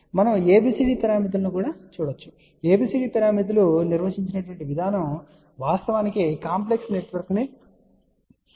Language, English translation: Telugu, Here we are going to look at ABCD parameters and the way ABCD parameters are defined which actually becomes easier later on as we will see to solve a complex network